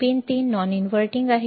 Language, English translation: Marathi, Pin 3 is non inverting